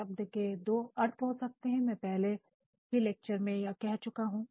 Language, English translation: Hindi, Words can have two meaning as I have said sometimes in some other lecture as well